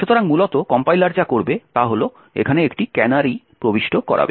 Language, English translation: Bengali, So, essentially what the compiler would do is insert a canary over here